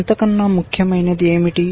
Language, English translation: Telugu, What is more important